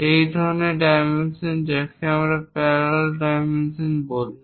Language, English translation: Bengali, Such kind of dimensioning is called parallel dimensioning